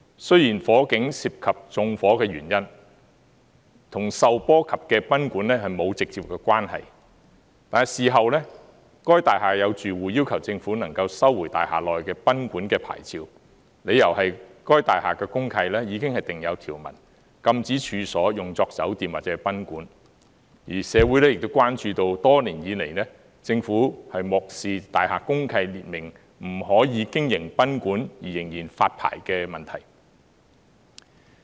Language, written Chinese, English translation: Cantonese, 雖然火警涉及縱火的原因，與受波及的賓館沒有直接關係，但事後大廈有住戶要求政府能夠收回大廈內的賓館的牌照，理由是該大廈的公契已經訂有條文，禁止處所用作酒店或賓館；而社會亦關注到多年以來，政府漠視大廈公契列明，不可以經營賓館而仍然發牌的問題。, Even though arson was involved in the fire it had nothing to do directly with the guesthouse which suffered the collateral damage . After the fire tenants of the building urged the Government to revoke the licenses of guesthouses on the premises on the grounds that the deed of mutual covenant of the building prohibits the operation of hotel or guesthouse business inside the building . At the same time the problem has aroused public concerns that is the Government has disregarded the fact that most deeds of mutual covenant prohibit the operation of hotels and guesthouses on most premises but kept on issuing hotels and guesthouse licences